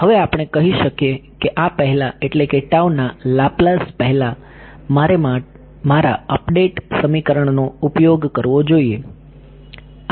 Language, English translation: Gujarati, Now we can say that before this before the lapse of tau I should use my update equation